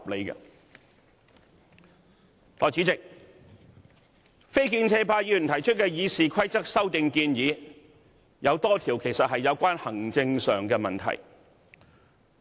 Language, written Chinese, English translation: Cantonese, 代理主席，非建制派議員提出的《議事規則》修訂建議，有多項其實屬行政問題。, Deputy President in quite a number of amendments proposed to the Rules of procedure by Members from the non - establishment camp the matters involved are actually administrative issues